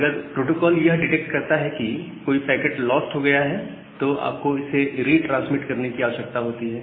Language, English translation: Hindi, So, if the protocol detects that there is a packet loss you need to retransmit it